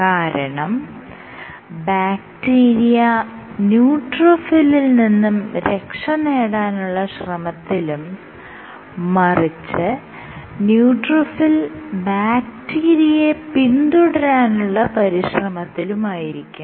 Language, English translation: Malayalam, rather what you will find this is the bacteria tries to escape and the neutrophil chases the bacteria